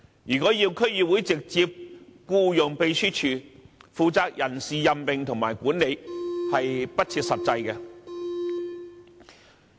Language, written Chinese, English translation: Cantonese, 如果要區議會直接僱用秘書處，負責人事任命和管理的工作，是不切實際的。, It is impractical for DCs to directly hire a secretariat to take charge of the work of staff appointment and management